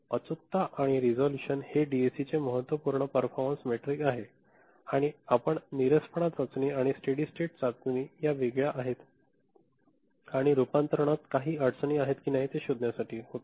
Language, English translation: Marathi, Accuracy and resolutions are important performance metric of a DAC and the tests you have seen monotonicity test, steady state accuracy test, these are the different you know, kind of tests that we perform and to figure out if there are any issues in the conversion